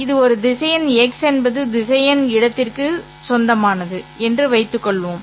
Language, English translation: Tamil, Suppose this is a vector X which belongs to the vector space V